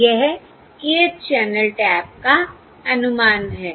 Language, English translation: Hindi, So this is the estimate of the kth channel tap